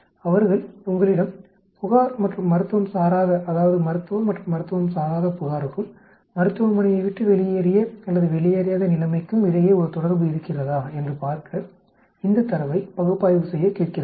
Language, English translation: Tamil, They are asking you to analyze this data to see if there is a relationship between complaint and Non medical that is Medical and Non medical and then leaving the clinic or not leaving the clinic